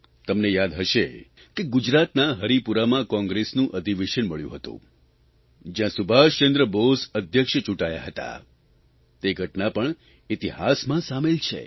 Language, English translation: Gujarati, You may remember that in the Haripura Congress Session in Gujarat, Subhash Chandra Bose being elected as President is recorded in history